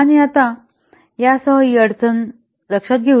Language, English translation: Marathi, And now with this, now let us take up this problem